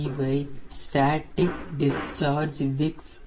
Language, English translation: Tamil, these are the static discharge wicks